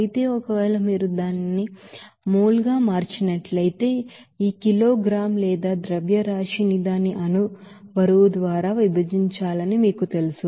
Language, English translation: Telugu, Whereas, if you convert it to mol then you have to you know divide this kg or mass by its molecular weight